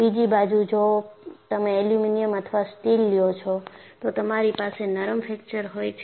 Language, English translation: Gujarati, On the other hand, if you take aluminum or steel, you will have a ductile fracture